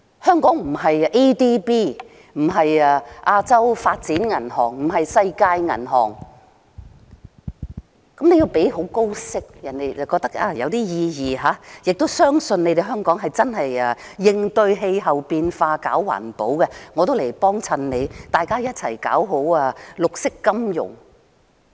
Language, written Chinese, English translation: Cantonese, 香港不是亞洲開發銀行，又不是世界銀行，你要付很高利息，人家才覺得有意義，亦要別人相信香港真的為應對氣候變化而搞環保，人家才會願意光顧，一起搞好綠色金融。, Hong Kong is not the Asia Development Bank ADB; nor is it the World Bank . You have to pay interest at a very high rate before people will consider it worthwhile to buy these bonds . And people have to be convinced that Hong Kong is engaging in environmental protection really with the aim of addressing climate change before they will be willing to buy these bonds and work together for the development of green finance